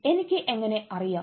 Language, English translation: Malayalam, how do i know